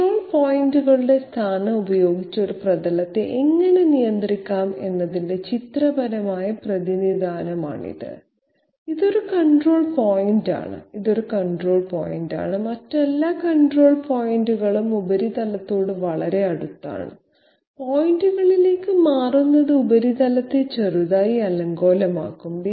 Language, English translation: Malayalam, This is a pictorial representation of how a surface can be controlled by the position of the control points, this is one control point, this is one control point, all the other control points are quite near to the surface, just shifting to points will make the surface slightly undulated